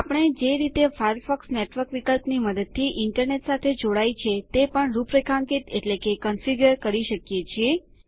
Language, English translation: Gujarati, We can also configure the way Firefox connects to the Internet using the Network option